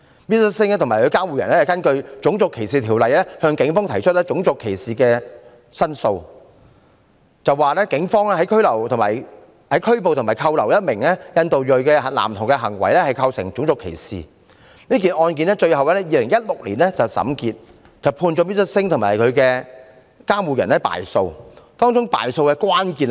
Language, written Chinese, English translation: Cantonese, Mr SINGH 和其監護人根據《種族歧視條例》向警方提出種族歧視的申訴，指警方拘捕和扣留一名印度裔男童的行為構成種族歧視，這宗案件最後在2016年審結，判 Mr SINGH 和其監護人敗訴，當中敗訴的關鍵是甚麼？, Mr SINGH and his guardian made a complaint of racial discrimination against the Police claiming that the acts of arresting and detaining the boy of Indian ethnicity constitute racial discrimination . The court completed hearing the case in 2016 and ruled against Mr SINGH and his guardian . What is the key reason for this result?